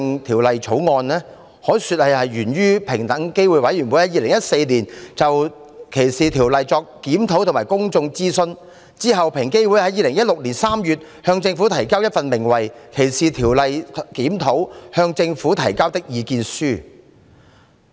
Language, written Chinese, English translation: Cantonese, 《條例草案》源於平機會在2014年對歧視條例作出的檢討和公眾諮詢，其後，平機會在2016年3月向政府提交《歧視條例檢討：向政府提交的意見書》。, The Bill originates from the review and public consultation on the anti - discrimination ordinances conducted by EOC in 2014 . EOC submitted the Discrimination Law Review―Submissions to the Government in March 2016